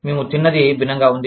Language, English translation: Telugu, The way, we ate, was different